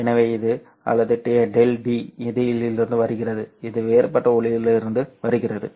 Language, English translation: Tamil, So this is coming from, or delta D, this is coming from the out diffracted light